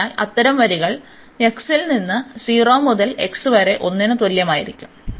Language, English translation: Malayalam, So, and then such lines will vary from x is equal to 0 to x is equal to 1